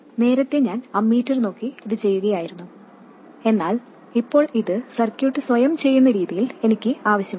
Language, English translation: Malayalam, Earlier I was looking at the ammeter and doing this, but now I need the circuit to automatically do this